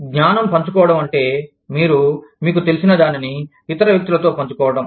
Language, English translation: Telugu, Knowledge sharing means, you are sharing, whatever you know, with other people